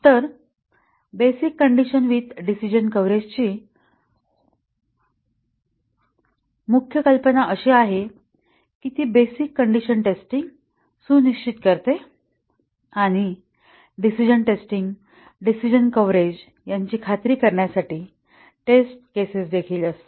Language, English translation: Marathi, So, the main idea with basic condition with decision coverage testing is that it ensures basic condition testing and also has test cases to ensure decision testing, decision coverage